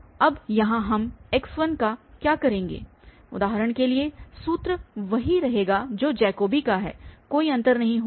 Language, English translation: Hindi, Now, here what we will do of x1 for instance the formula will remain the same as the Jacobi there will be no difference